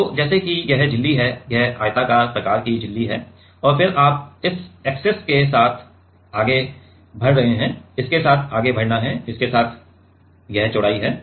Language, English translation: Hindi, So, let us say this is the membrane this is the rectangular kind of membrane and then you have you are like moving along this axis right moving along it is; along it is width